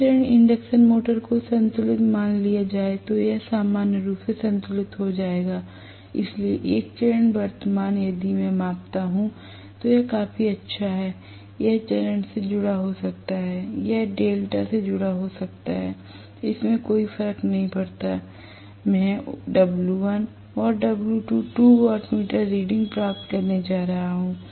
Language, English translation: Hindi, Assuming the 3 phase induction meter to be balanced it will be balanced normally, so 1 phase current if I measure it is good enough, it can be star connected, it can be delta connected it does not matter, I am going to get 1 W1 and W2, 2 wattmeter readings